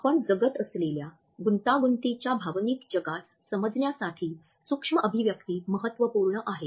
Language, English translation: Marathi, Micro expressions are key to understanding the complex emotional world we live in